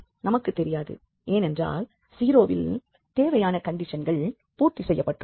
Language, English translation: Tamil, We do not know because the necessary conditions are satisfied at 0